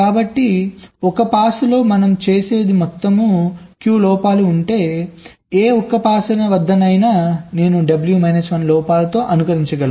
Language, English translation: Telugu, so if there are total of q faults, so at any single pass i can simulate with w minus one faults